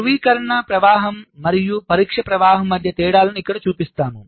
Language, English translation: Telugu, so here we show the differences between verification flow and the testing flow